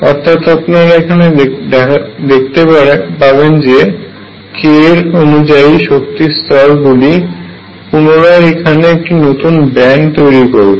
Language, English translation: Bengali, What you will see that all these energy levels now with respect to k again form a band